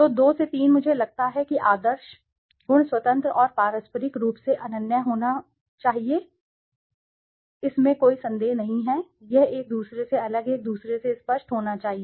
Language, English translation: Hindi, So, 2 to 3 is I think ideal, attributes should be independent and mutually exclusive, there is no doubt, this should be clear from each other separate from each other